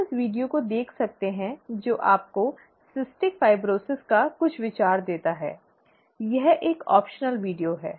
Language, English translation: Hindi, You can look at this video which gives you some idea of cystic fibrosis, it is a let us say an optional video